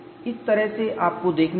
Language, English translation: Hindi, That is the way you have to look at it